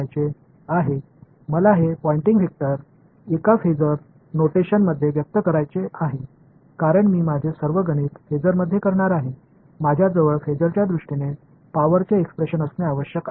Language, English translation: Marathi, So, I want to now find out, I want to express this Poynting vector in a phasor notation because I am going to do all my calculations in phasor I should have an expression for power in terms of the phasors right